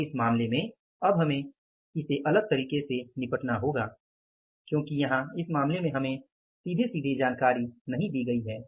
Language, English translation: Hindi, So, so in this case now we will have to deal it a little differently because that direct information is not given in this case to us